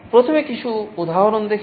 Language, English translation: Bengali, First let us look at some examples